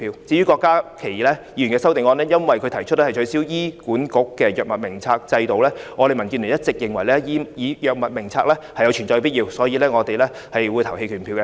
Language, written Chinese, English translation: Cantonese, 至於郭家麒議員的修正案，由於他提出取消醫管局的藥物名冊制度，但我們民主建港協進聯盟一直認為，藥物名冊有存在必要，所以我們會表決棄權。, As for Dr KWOK Ka - kis amendment given that he proposes to abolish the system of the HA Drug Formulary and we the Democratic Alliance for the Betterment and Progress of Hong Kong are of the view that the Drug Formulary must exist we will abstain from voting on his amendment as well